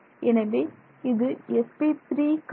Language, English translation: Tamil, So, that is the 3